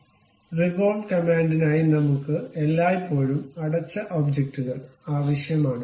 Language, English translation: Malayalam, So, for revolve command we always require closed objects